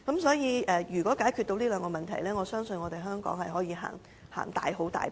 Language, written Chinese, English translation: Cantonese, 所以，如果能夠解決這兩個問題，相信香港便可以踏前一大步。, Hence if the Government can solve these two issues I believe Hong Kong can make a big step forward